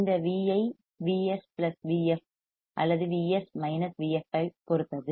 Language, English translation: Tamil, This Vi would depend on Vs + Vf or Vs Vf,